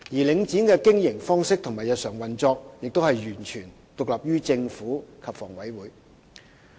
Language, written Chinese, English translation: Cantonese, 領展的經營方式和日常運作，亦完全獨立於政府及房委會。, Its business model and daily operation are also totally independent of the Government and HA